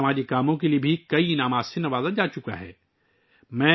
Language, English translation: Urdu, He has also been honoured with many awards for social work